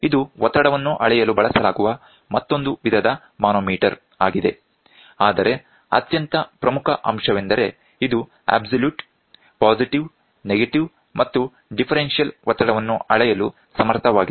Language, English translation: Kannada, It is another type of manometer which is used to measure the pressure, but the most important point is it is capable of measuring absolute, positive, negative and differential pressure